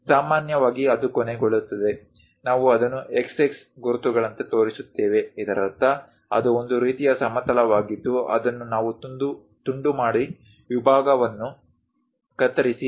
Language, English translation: Kannada, Usually, it ends, we show it something like a mark x x; that means it is a kind of plane which we are going to slice it, cut the section and show that view